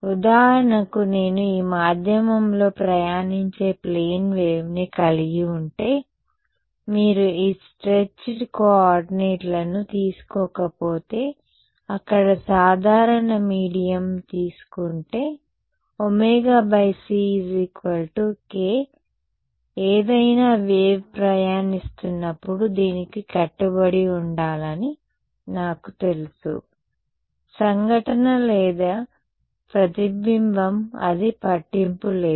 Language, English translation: Telugu, Right so, if I have a plane wave travelling in this medium for example, if you take not this stretched coordinates but, a normal medium rights over there I know that omega by c is equal to k, any wave travelling has to obey this, whether it is incident or reflected it does not matter